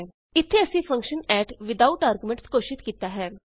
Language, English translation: Punjabi, Here we have declared a function add without arguments